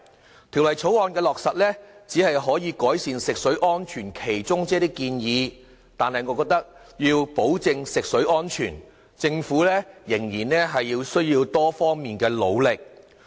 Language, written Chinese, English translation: Cantonese, 落實《條例草案》，只可以改善食水安全的其中一些建議，但我認為如要保證食水安全，政府仍須作出多方努力。, The enactment of the Bill is only part of the efforts to improve the safety of drinking water . There is still a lot of work the Government has to do in order to ensure the safety of drinking water